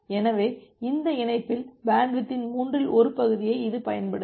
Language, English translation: Tamil, So, it will utilize one third of bandwidth in this link